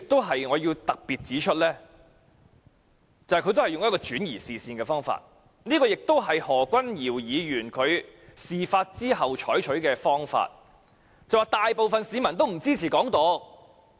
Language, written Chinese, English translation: Cantonese, 此外，我亦想特別指出，陳克勤議員剛才也用上了轉移視線的方法，而這亦是何君堯議員在事發後採取的做法，辯稱大部分市民也不支持"港獨"。, In addition I would also like to highlight the fact that Mr CHAN Hak - kan has tried to dilute the matter by diverting peoples attention just now and this was also a tactic employed by Dr Junius HO after the incident to argue that most people do not support Hong Kong independence